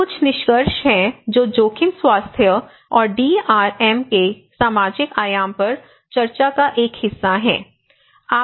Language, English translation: Hindi, So, these are some of the findings I mean which was a part of the discussions on the social dimension of risk and health and DRM